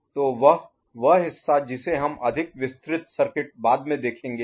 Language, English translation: Hindi, So, that is that part we shall see more you know, elaborate circuit later